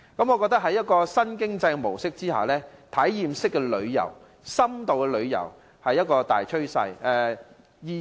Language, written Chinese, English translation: Cantonese, 我認為在新經濟模式之下，體驗式旅遊和深度旅遊是大趨勢。, In my view experiential travel and in - depth travel are the major trends in the new economy